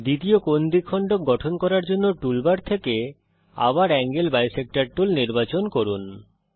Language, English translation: Bengali, Lets select the Angle bisector tool again from the tool bar to construct second angle bisector